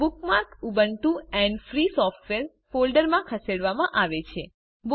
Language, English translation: Gujarati, The bookmark is moved to the Ubuntu and Free Software folder